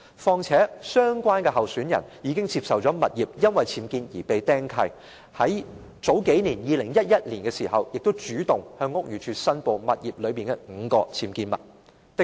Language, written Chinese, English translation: Cantonese, 況且，相關候選人的物業已由於僭建而被"釘契"，在2011年，他亦主動向屋宇署申報物業內的5項僭建物。, Furthermore an encumbrance has been imposed on the property of the candidate due to his UBWs and in 2011 he took the initiative to report five UBWs in his home to the Buildings Department